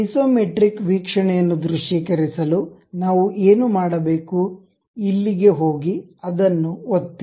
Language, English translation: Kannada, To visualize isometric view, what we have to do, go here, click that one